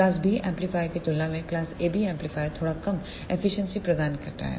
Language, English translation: Hindi, This class AB amplifiers provides slightly less efficiency as compared to class B amplifier